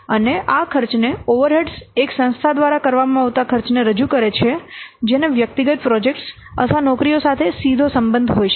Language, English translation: Gujarati, These cost represent the expenditure that an organization incurs which cannot be directly related to individual projects or jobs